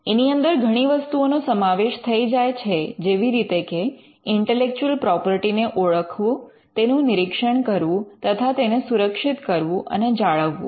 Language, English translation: Gujarati, It includes many things like identifying intellectual property, screening intellectual property, protecting intellectual property, maintaining IP as well